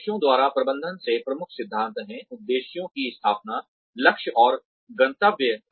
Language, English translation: Hindi, The key principles of management by objectives are, setting of objectives, goals, and targets